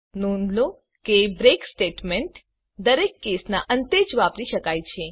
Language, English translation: Gujarati, Note that a break statement must be used at the end of each case